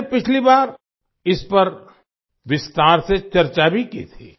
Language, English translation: Hindi, I had also discussed this in detail last time